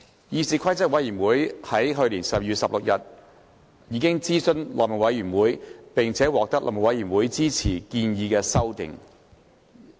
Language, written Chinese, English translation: Cantonese, 議事規則委員會於去年12月16日諮詢內務委員會，並獲內務委員會支持建議的修訂。, CRoP consulted the House Committee on 16 December last year and the House Committee endorsed the proposed amendments